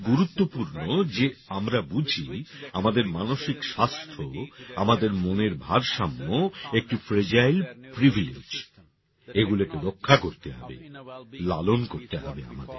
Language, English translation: Bengali, It's very important we understand our mental health, our sanity is a fragile privilege; we must protect it; we must nurture it